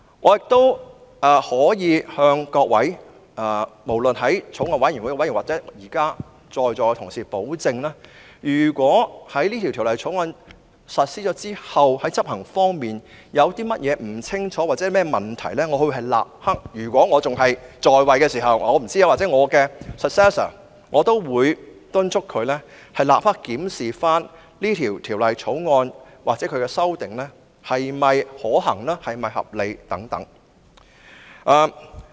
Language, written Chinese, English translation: Cantonese, 我可以向法案委員會委員或在座同事保證，如果在實施《條例草案》後，在執行方面有任何不清楚之處或問題，我會——如果我仍然擔任議員——或敦促我的繼任人立刻檢視《條例草案》的修訂是否可行或合理。, I can assure members of the Bills Committee or colleagues present at the meeting that if after the implementation of the Bill there is any ambiguity or problem I will―if I am still a Member―or urge my successor to immediately examine the feasibility or reasonableness of the amendments to the Bill